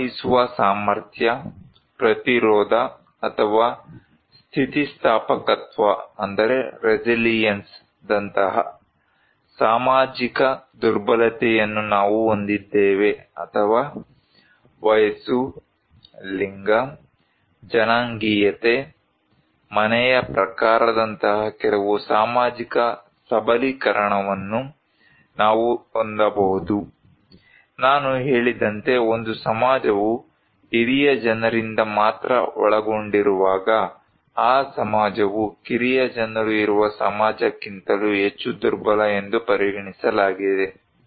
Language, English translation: Kannada, We have the social vulnerability like, coping ability, resistance or resilience or we could have some social empowerment like, age, gender, ethnicity, household type as I said that younger people are when a society is comprising only by elder people, the society is considered to be more vulnerable than when there are younger people also